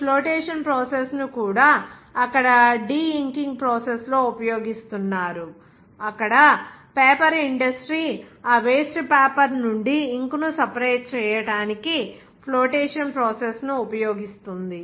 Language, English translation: Telugu, Even this flotation process is being used in the de inking process there, where the paper industry there to remove the ink from that waste paper